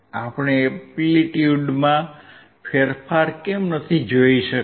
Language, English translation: Gujarati, Why we were not able to see the change in the amplitude